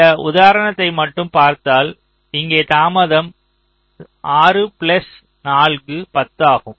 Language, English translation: Tamil, as you can see, for this example at least, the delay here is six plus four, twelve